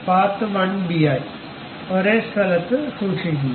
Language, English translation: Malayalam, Save as part1b at the same location